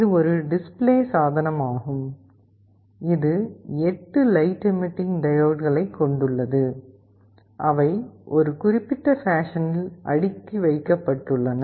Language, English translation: Tamil, It is a display device that consists of 8 light emitting diodes, which are arranged in a particular fashion